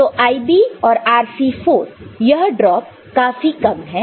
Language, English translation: Hindi, So, IB and RC4 this drop is small